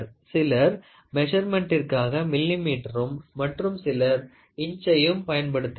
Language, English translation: Tamil, So, people some people use millimeter, some people use inches for measurement